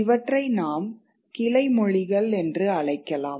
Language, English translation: Tamil, We can call them dialects